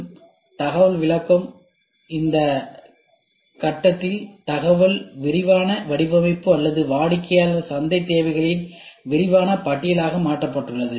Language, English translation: Tamil, So, the information interpretation, at this step, the information is translated into detail design or detail list of customer market requirement that must be satisfied by the product